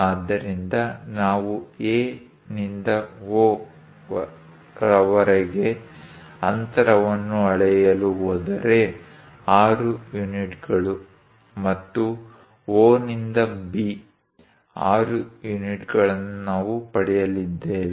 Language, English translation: Kannada, So, if we are going to measure the distance from A to O, 6 units and O to B, 6 units, we are going to get